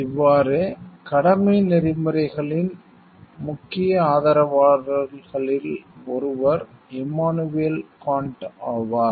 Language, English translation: Tamil, So, one of the major proponent of duty ethics was Immanuel Kant